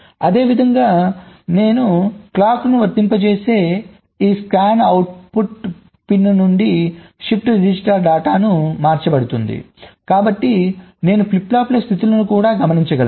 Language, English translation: Telugu, similarly, if i apply clocks, the shift register data will be shifted out from this scanout pin so i can observe the states of the flip flops also